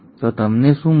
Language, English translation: Gujarati, So what do you get